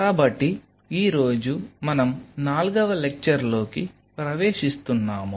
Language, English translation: Telugu, So, today we are into the fifth lecture of week 3